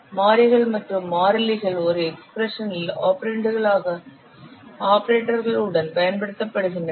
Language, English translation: Tamil, So what variables and constants you are using in the expressions they are treated as operands